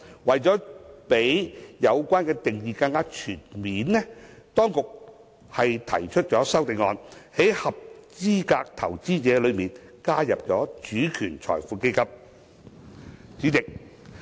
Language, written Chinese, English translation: Cantonese, 為了讓有關定義更全面，當局提出修正案，在"合資格投資者"中加入"主權財富基金"。, To provide a more comprehensive definition the authorities have proposed an amendment to include SWFs under the definition of qualified investor